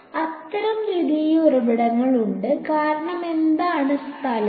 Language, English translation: Malayalam, So, there are exactly like those secondary sources; because what is the location